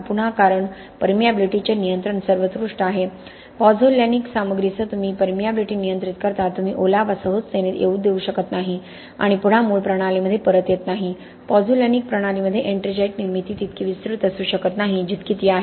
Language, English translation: Marathi, Again because control of permeability is paramount, with pozzolanic materials you control the permeability, you do not allow moisture to get in easily and again coming back to the original system ettringite formation in a pozzolanic system may not be as expansive as it is in a cementitious system because of the pH differences in the system